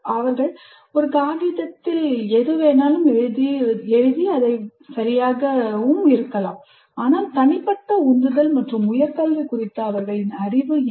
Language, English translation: Tamil, Though whatever they write on a piece of paper may be all right, but what is their personal motivation and their knowledge of higher education